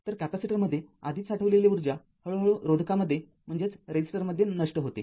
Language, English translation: Marathi, So, the energy already stored in the capacitor is gradually dissipated in the resistor